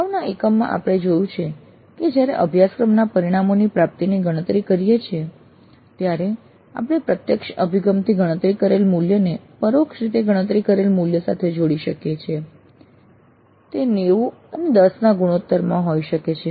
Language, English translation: Gujarati, In the earlier module we have seen that when we compute the attainment of course outcomes, we can combine the value computed from direct approaches with the value computed indirectly, maybe in the ratio of 90 10